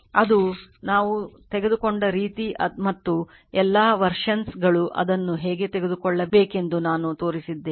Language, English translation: Kannada, If it is the way we have taken and all versions I have showed you how to take it right